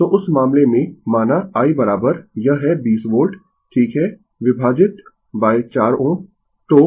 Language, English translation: Hindi, So, in that case your what you call say i is equal to it is 20 volt right divided by 4 ohm